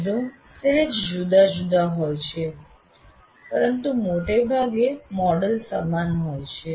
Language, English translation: Gujarati, It slightly wordings are different, but essentially the model is the same